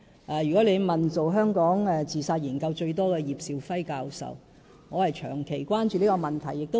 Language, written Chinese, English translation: Cantonese, 假如你問進行香港自殺研究次數最多的葉兆輝教授，便會知道我長期關注這個問題。, Mr SHIU will know of my long - standing concern about this problem if he ever asks Prof Paul YIP who has produced the most voluminous research literature on suicide in Hong Kong